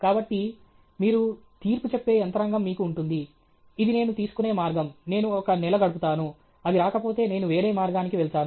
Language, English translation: Telugu, So, you will have a mechanism by which you will judge, this is the path I will take, I will spend one month; if it’s not coming, I will go to some other path